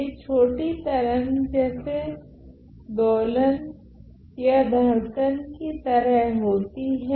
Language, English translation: Hindi, So, these are short wave like oscillations or pulses ok